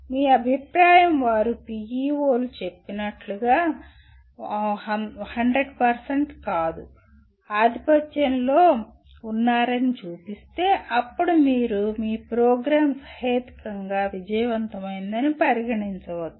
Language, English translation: Telugu, And if your feedback shows that they are dominantly, not 100%, dominantly are involved in activities as stated by PEOs then you can consider your program to be reasonably successful